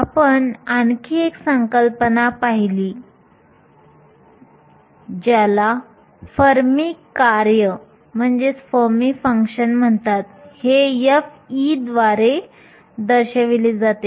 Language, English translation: Marathi, We also looked at another concept, called the Fermi function, denoted by f of E